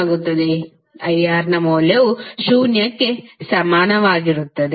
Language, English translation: Kannada, And the value of this is equal to zero